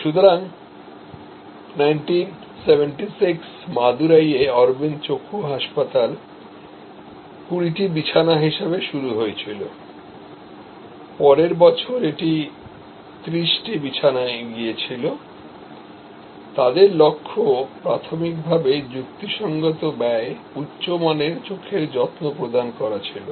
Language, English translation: Bengali, So, 1976 in Madurai, Aravind Eye Hospital started as at 20 bed, next year it went to 30 bed, they goal initially was providing quality eye care at reasonable cost